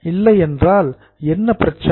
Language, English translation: Tamil, If not, what is a problem